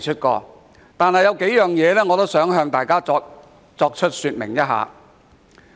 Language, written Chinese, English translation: Cantonese, 儘管如此，我想向大家說明數點。, Nonetheless I would like to make a few points